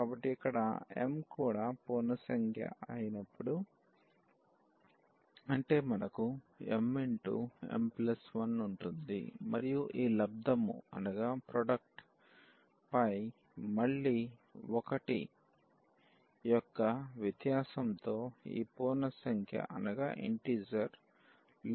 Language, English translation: Telugu, So, when here m is also integer, so; that means, we have m m plus 1 and so on this product again appearing of these integers with the difference of 1